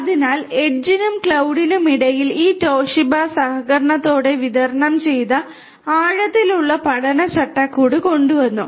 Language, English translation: Malayalam, So, between the edge and the cloud, this Toshiba came up with a collaborative distributed deep learning framework